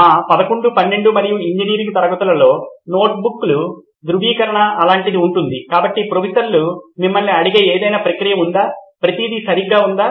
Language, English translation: Telugu, In our 11th ,12th and engineering class there would be a verification of notebooks something like that, so is there any process where Professors ask you, is everything right